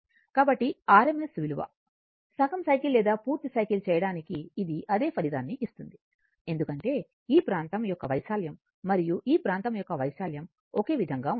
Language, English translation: Telugu, So, if for making your RMS value, half cycle or full cycle it will give the same result because area of this one and area of this one is same